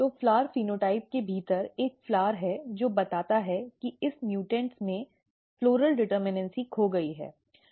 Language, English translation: Hindi, So, there is a flower within flower phenotype which tells that in this mutants the floral determinacy is lost